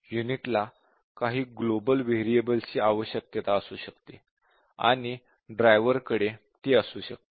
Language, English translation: Marathi, The unit might need some global variables and so on; the driver would have that